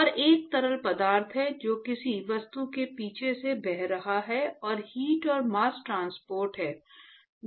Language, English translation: Hindi, And there is a fluid which is flowing past an object and there is heat and mass transport which is occurring simultaneously